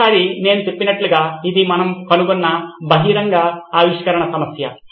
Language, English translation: Telugu, So again like I said last time this was an open innovation problem that we found